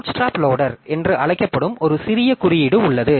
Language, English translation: Tamil, So, there is a small piece of code which is called the bootstrap loader